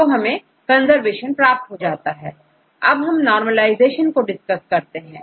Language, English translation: Hindi, So, we get the conservation, then we discussed about the normalization